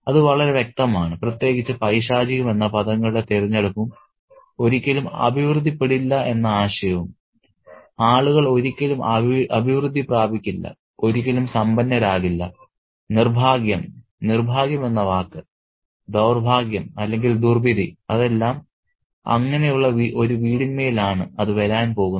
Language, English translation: Malayalam, That's very clear, especially the choice of words, evil, and the idea of never prospering, people will never prosper, will never get wealthier, the word misfortune, bad fortune or bad luck, and it's going to fall upon such a house